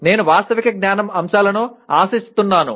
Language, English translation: Telugu, I am expected to factual knowledge elements